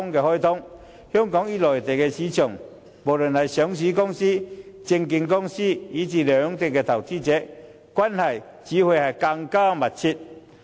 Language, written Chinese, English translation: Cantonese, 香港與內地的上市公司、證券公司及投資者，關係只會更密切。, Listed companies brokerages and investors in Hong Kong and on the Mainland will only be more closely connected